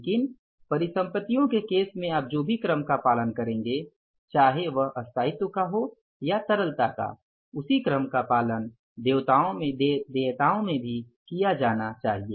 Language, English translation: Hindi, But whatever the order you follow in case of the assets, whether it is the order of permanence or the order of liquidity, same order should be followed in case of the liabilities also